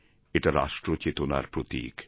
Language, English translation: Bengali, It symbolises our national consciousness